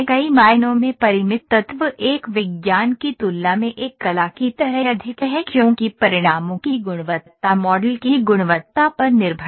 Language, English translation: Hindi, Finite element modelling in many ways is more like an art than a science since the quality of the results is dependent upon the quality of the model